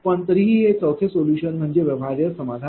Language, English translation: Marathi, But anyway, so this 4th solution is the feasible solution, right